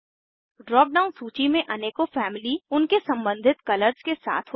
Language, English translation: Hindi, Drop down list has various families with their corresponding colors